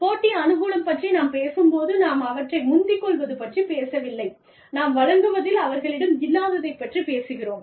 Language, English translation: Tamil, When we talk about competitive advantage, we are talking, not about overtaking them, we are talking about, having something in our offering, that they do not have